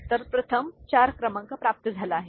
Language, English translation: Marathi, So, first 4 number is obtained